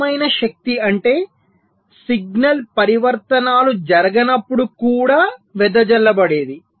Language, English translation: Telugu, static power is something which is dissipated even when no signal transitions are occurring